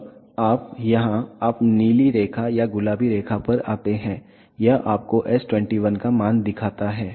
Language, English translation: Hindi, Now, you come to window here you the blue line or the pink line it shows you the value of s 21